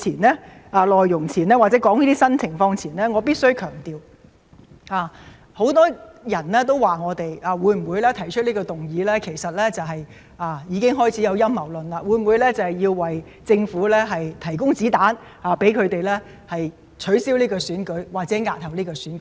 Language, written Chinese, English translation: Cantonese, 在我談論新的情況前，我必須強調，很多人說我們提出這項議案——已開始有陰謀論出現——會否是為了向政府提供子彈，讓他們借機取消或押後選舉？, Before I talk about these new situations I must emphasize that some people have questioned whether our purpose for proposing this motion is to provide ammunition for the Government so that it can take the opportunity to cancel or postpone the election